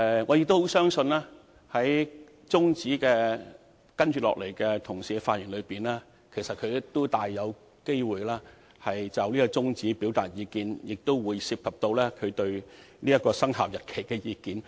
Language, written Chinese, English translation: Cantonese, 我相信，議員同事在接下來的發言中，大有機會就這項中止待續議案表達意見，當中或會包括他們對有關生效日期的意見。, I believe that in their coming speeches my Honourable colleagues will very likely express their views on this adjournment motion and these may include their views on the relevant commencement date